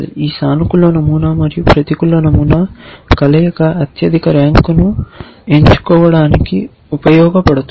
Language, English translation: Telugu, This combination of this positive pattern and the negative pattern can be used to pick the highest rank